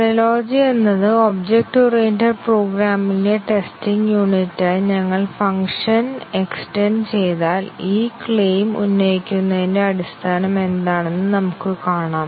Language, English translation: Malayalam, The analogy, if we extend function to method to be unit of testing in object oriented program is not really correct, we will see what the basis of making this claim